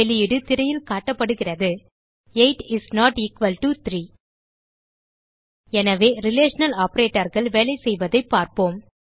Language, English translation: Tamil, The output is displayed on the screen: 8 is not equal to 3 So, we see how the relational operaotors work